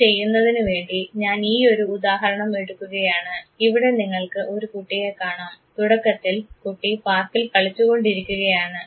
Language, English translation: Malayalam, For doing this I am taking this very example, here you see boy who is primarily playing in the park